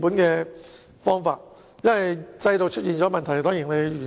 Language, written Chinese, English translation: Cantonese, 如果制度出現問題，便須予以完善。, Should the system be found to be problematic improvements must be made